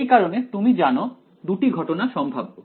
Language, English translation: Bengali, So, there are you know 2 cases possible